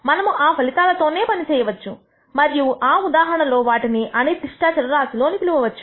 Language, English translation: Telugu, We can work with the outcomes themselves in that case and call them random variables